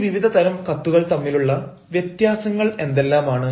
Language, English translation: Malayalam, now, what exactly are the differences between all these sorts of letter